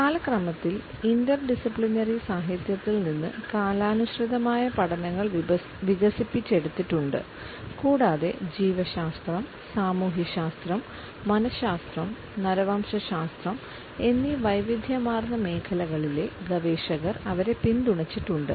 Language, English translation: Malayalam, Studies of chronemics have developed from interdisciplinary literature on time and they have been also supported by researchers in diversified fields of biology or sociology, psychology as well as anthropology